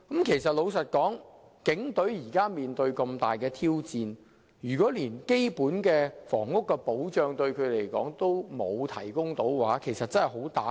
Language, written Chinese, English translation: Cantonese, 老實說，警隊現正面對重大的挑戰，如果連基本的房屋保障也欠奉，將會對士氣造成嚴重打擊。, Honestly nowadays the Police are faced with great challenges . If police officers basic housing needs cannot even be met it will deal a great blow to their morale